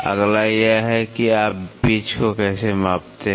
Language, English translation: Hindi, The next one is how do you measure the pitch